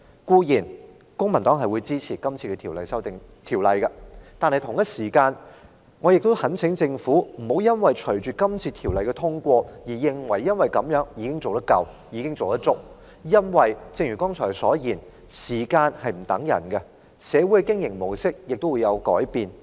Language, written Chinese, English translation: Cantonese, 公民黨固然支持《條例草案》，但我也懇請政府不要隨着《條例草案》獲得通過就安於現狀，因為正如我剛才所說，時間不會等人，旅遊業的經營模式也會因時而變。, While the Civic Party certainly supports the Bill I urge the Government not to be complacent once the Bill is passed for as I said earlier time waits for no one and the mode of operation of the travel trade will change over time with the changes of circumstances